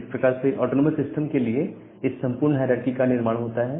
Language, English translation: Hindi, So, that way this entire hierarchy is being formed for the autonomous systems